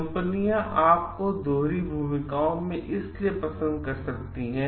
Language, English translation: Hindi, The companies may prefer for dual roles